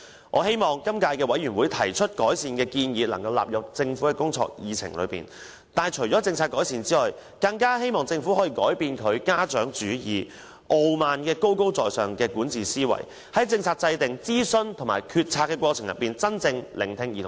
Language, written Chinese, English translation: Cantonese, 我希望今屆小組委員會提出的改善建議能夠納入政府的工作議程，但除了政策改善外，我更希望政府可以改變它的"家長主義"和高高在上的傲慢管治思維，在政策制訂、諮詢和決策的過程中，真正聆聽兒童和青年的意見。, I hope the recommendations made by the Subcommittee can be included in the Governments work agenda . In addition to policy improvements I also hope the Government can change its paternalistic and arrogant mindset of governance and really listen to the views of children and young people in the policy formulation consultation and decision - making process